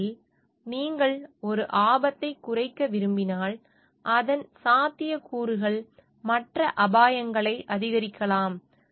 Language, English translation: Tamil, Because, if you want to reduce one hazard, then it is maybe the possibilities there we are increasing other risk